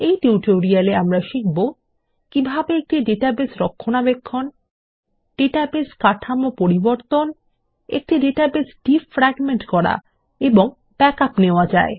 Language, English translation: Bengali, This brings us to the end of this tutorial on Database Maintenance in LibreOffice Base To summarize, we learned how to: Maintain a Database Modify Database Structure Defragment a database And take Backups